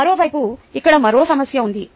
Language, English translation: Telugu, on the other hand, there is another issue here